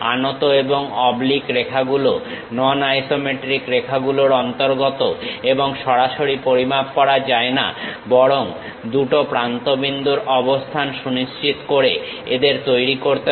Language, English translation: Bengali, Non isometric lines include inclined and oblique lines and cannot be measured directly; instead they must be created by locating two endpoints